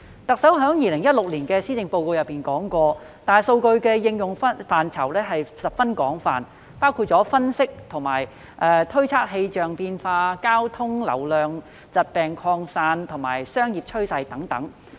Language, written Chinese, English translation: Cantonese, 特首在2016年的施政報告中提出，大數據的應用範疇十分廣泛，包括分析和推測氣象變化、交通流量、疾病擴散及商業趨勢等。, The Chief Executives 2016 Policy Address states The application of big data can be very extensive . Examples include analysing and forecasting meteorological changes traffic situation spread of diseases and business trends